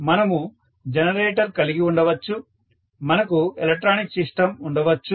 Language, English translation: Telugu, So, we may have generator, we may have electronic system